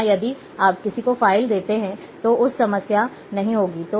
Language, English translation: Hindi, Or, if you give the file to somebody, he might not be having problem